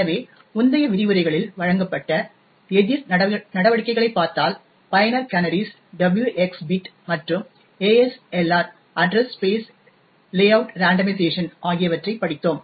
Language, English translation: Tamil, So, now if we look at the countermeasures that has been presented in the earlier lectures, we had actually studied the user canaries, the W xor X bit as well as ASLR Address Space Layout randomization